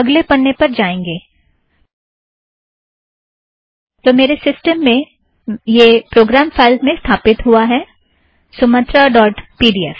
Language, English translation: Hindi, Lets go to the next page, so in my system it gets installed at program files, Sumatra dot pdf